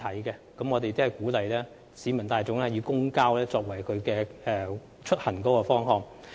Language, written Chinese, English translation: Cantonese, 政府鼓勵市民大眾以公共交通作為出行方法。, The Government encourages the public to use public transport as the means of travel